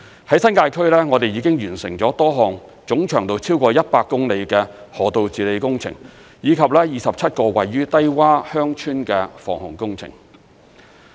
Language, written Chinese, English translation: Cantonese, 在新界區，我們已經完成了多項總長度超過100公里的河道治理工程，以及27個位處低窪鄉村的防洪工程。, As far as the New Territories is concerned we have completed river management projects with a total length of over 100 km and implemented 27 village flood protection schemes in low - lying villages